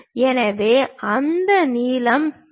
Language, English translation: Tamil, So, that length is D